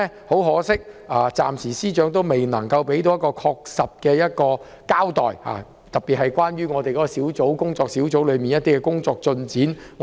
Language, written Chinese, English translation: Cantonese, 很可惜，司長今年暫時未能作出明確交代，我們仍然無法知曉工作小組的工作進展。, Regrettably the Secretary for Justice was unable to give a specific account for the time being hence we still know nothing about the progress of the Working Group